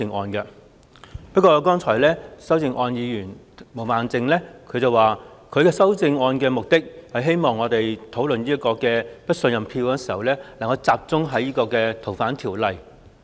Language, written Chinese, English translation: Cantonese, 不過，毛孟靜議員剛才發言指出，她提出修正案的目的，是希望我們討論"對行政長官投不信任票"的議案時能夠集中在修訂《逃犯條例》一事上。, Yet Ms Claudia MO pointed out in her speech earlier that she had proposed the amendment in the hope that we could focus on the amendment exercise of the Fugitive Offenders Ordinance FOO in discussing the motion on Vote of no confidence in the Chief Executive